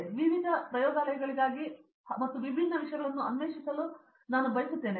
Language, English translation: Kannada, So, I would like to go for different labs and to explore different things